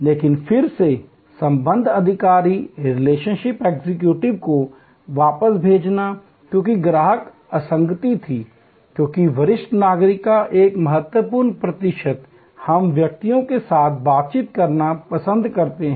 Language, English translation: Hindi, But, then board back relationship executives, because there was a customer dissonance, because a significant percentage of senior citizens, we like to interact with persons